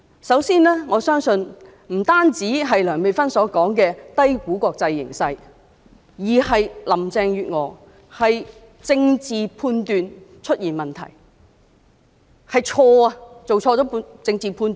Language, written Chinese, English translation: Cantonese, 首先，不單是梁美芬議員所說的低估國際形勢，而是林鄭月娥政治判斷出現問題，作出了錯誤的政治判斷。, First as Dr Priscilla LEUNG said Carrie LAM has underestimated the situation in the international arena and more so her political judgment is problematic which has prompted her to make the wrong political judgment